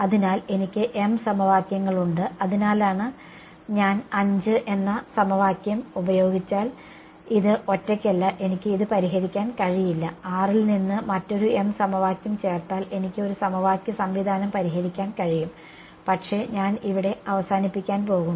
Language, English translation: Malayalam, So, I have m equations which is why this is not alone if I use equation 5 alone I cannot solve this, if I add a another m equation from 6 then I can solve a 2 m cross 2 m system of equation, but I am going to stop short over here ok